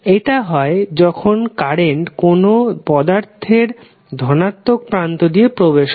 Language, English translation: Bengali, It is satisfied when current enters through the positive terminal of element